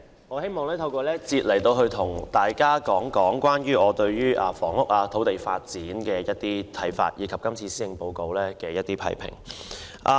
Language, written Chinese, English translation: Cantonese, 代理主席，在這個辯論環節，我想談談我對房屋和土地發展的看法，以及對今年施政報告作出批評。, Deputy President in this debate session I would like to express my views on housing and land development and my criticism of this years Policy Address